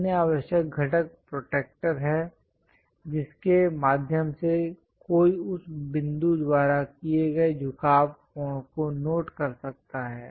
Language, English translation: Hindi, The other essential component is protractor through which one can note the inclination angle made by that point